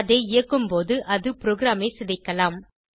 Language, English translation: Tamil, It may crash the program when you run it